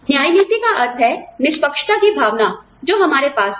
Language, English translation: Hindi, Equity means, the sense of fairness, that we have